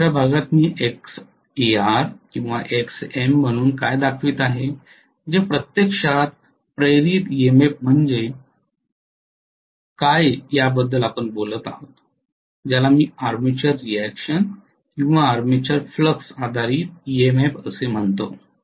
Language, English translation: Marathi, In another portion what I am showing as Xar or Xm that is actually talking about what is the induced EMF due to the armature currents which I call as armature reaction or armature flux based induced EMF